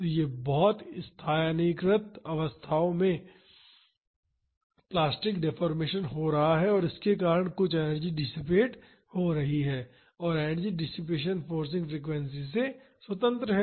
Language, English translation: Hindi, So, at very localized positions plastic deformation is happening and because of that some energy is getting dissipated and that energy dissipation is independent of the forcing frequency